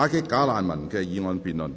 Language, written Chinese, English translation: Cantonese, "打擊'假難民'"的議案辯論。, The motion debate on Combating bogus refugees